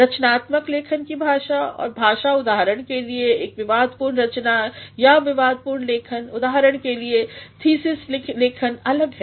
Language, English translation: Hindi, The language of creative writing and the language of say an argumentative piece or argumentative writing; say, for example, thesis writing is different